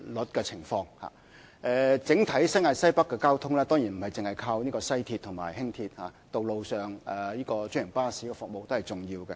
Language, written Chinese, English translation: Cantonese, 新界西北整體的交通，當然不單依靠西鐵線及輕鐵，道路上的專營巴士服務，都是重要的。, Transport in NWNT as a whole is not solely dependent on WR and LR; franchised bus services on the roads are important as well